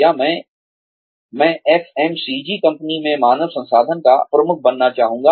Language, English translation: Hindi, Or, i would like to be, the head of human resources in an FMCG company